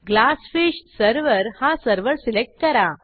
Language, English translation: Marathi, Select GlassFish server as the Server